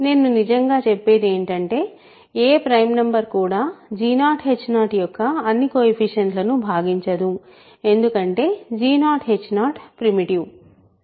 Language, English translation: Telugu, What I really mean is no prime number divides all the coefficients of g 0 h 0 because g 0 h 0 is primitive